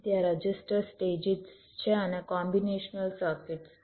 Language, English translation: Gujarati, there are register stages and there is a combination circuits